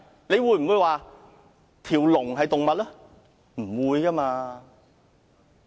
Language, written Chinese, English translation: Cantonese, 你會否說龍是動物嗎？, Will you call a dragon an animal?